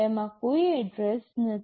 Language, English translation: Gujarati, It does not contain any address